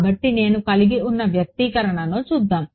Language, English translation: Telugu, So, let us let us look at the expression that I had